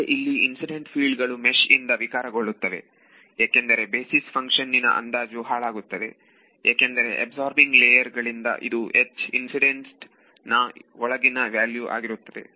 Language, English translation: Kannada, But, now those incidence fields have to they are anyway getting distorted by the mesh because of the approximation of basis function they get further messed up because of these absorbing layers what will be the value of H incident inside